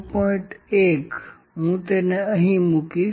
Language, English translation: Gujarati, 1 I will put it here